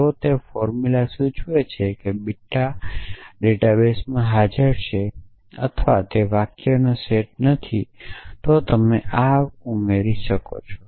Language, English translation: Gujarati, If that formula implies beta is present in the data base or nor it be a set of sentences, then you can add this